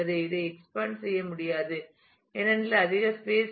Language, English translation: Tamil, I cannot expand this because there is no more space left